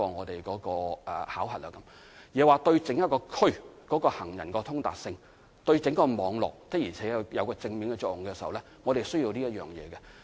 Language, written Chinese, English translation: Cantonese, 另外，行人天橋對整個區域的行人通達性、對整個網絡是否確實有正面作用，這些也是需要符合的條件。, Besides whether or not the walkway system will indeed produce a positive effect on the overall pedestrian accessibility or the overall network in the district is another requirement that has to be met